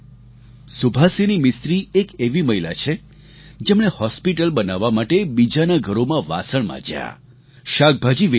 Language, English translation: Gujarati, Subhasini Mistri is a woman who, in order to construct a hospital, cleaned utensils in the homes of others and also sold vegetables